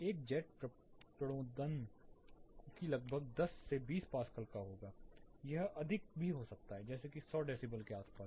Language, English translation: Hindi, Like a jet propulsion it will be around 10 to 20 pascals it can be higher than it will relate to around 100 decibels